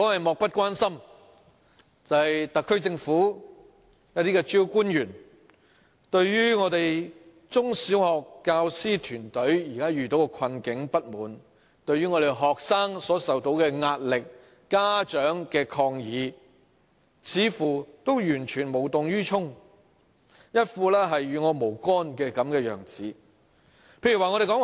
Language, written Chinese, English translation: Cantonese, 漠不關心，指的是特區政府一些主要官員，對於我們中小學教師團隊現時的困境和不滿、學生所受到的壓力、家長的抗議，似乎完全無動於衷，一副與我無干的樣子。, When I say the SAR Government is indifferent I am saying that some of its principal officials appear to be totally apathetic and nonchalant about the current plight and discontent of the teaching teams of our primary and secondary schools the pressure on students and the protests from parents